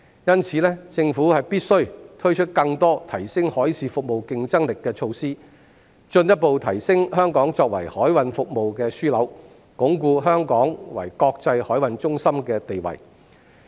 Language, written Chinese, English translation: Cantonese, 因此，政府必須推出更多提升海事服務競爭力的措施，進一步提升香港作為海運服務的樞紐，鞏固香港作為國際海運中心的地位。, Therefore the Government must introduce more measures to enhance the competitiveness of maritime services further enhance Hong Kong as a hub for maritime services and consolidate Hong Kongs status as an international maritime centre